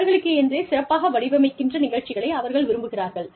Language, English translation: Tamil, They want the programs, that are specially designed, for them